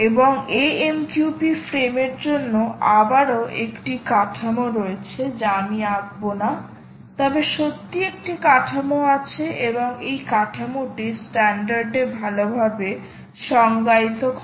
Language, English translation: Bengali, and there is again a structure for the amqp frames which i will not draw, but there is indeed a structure, and this structure is what is well defined in the standard